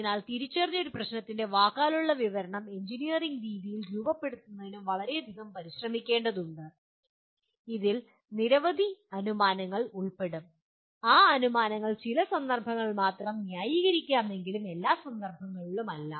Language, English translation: Malayalam, So translating a verbal description of an identified problem into formulating in an engineering way will take a tremendous amount of effort and it will involve any number of assumptions and those assumptions are justifiable only in certain context but not in all context